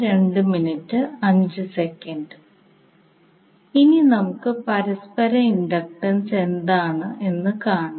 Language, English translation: Malayalam, So now let us see first what is the mutual inductance